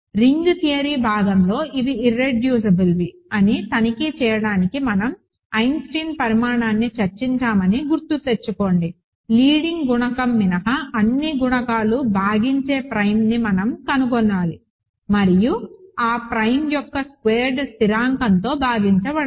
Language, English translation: Telugu, Remember, in our a ring theory part we discussed Eisenstein criterion to check that these are irreducible, we need to find a prime which divides all the coefficients except the leading coefficient and such that are square of that prime does not divide the constant